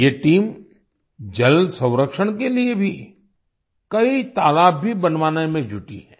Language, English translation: Hindi, This team is also engaged in building many ponds for water conservation